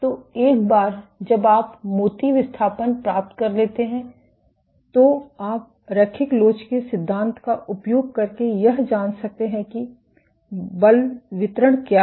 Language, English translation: Hindi, So, using this once you get the bead displacement then, you can use theory of linear elasticity to find out what is the force distribution